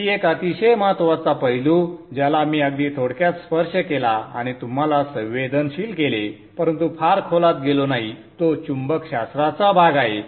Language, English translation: Marathi, Another in a very very important aspect that I have very briefly touched and sensitized you but not gone into very great depth is the part of magnetics